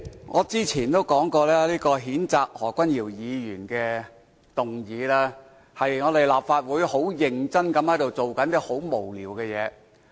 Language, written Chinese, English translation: Cantonese, 我之前曾說，此項譴責何君堯議員的議案，是立法會很認真做但卻很無聊的事情。, As I have said before this motion to censure Dr Junius HO is a matter taken seriously by the Council but is meaningless indeed